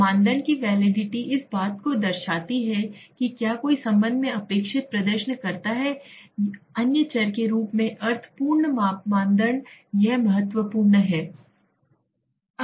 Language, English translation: Hindi, Criterion validity is reflects whether a scale performs as expected in relation to other variables as meaning full criteria this is important